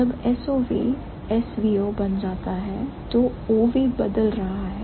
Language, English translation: Hindi, So, when SOV becomes OSV, what is happening